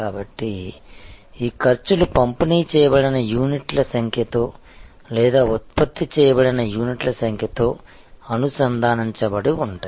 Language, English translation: Telugu, So, these costs are linked to the number of units delivered or number of units produced